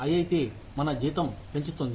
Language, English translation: Telugu, IIT raises our salary